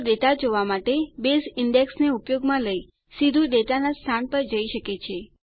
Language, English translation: Gujarati, So to retrieve data, Base can move to the location of the data directly by using the index